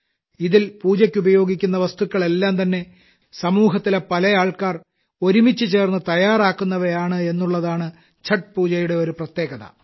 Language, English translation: Malayalam, Another special thing about Chhath Puja is that the items used for worship are prepared by myriad people of the society together